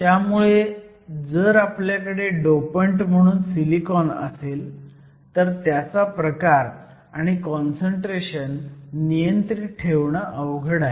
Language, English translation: Marathi, So, if we have silicon as a dopant, it is very hard to control the type of dopant and the concentration of dopants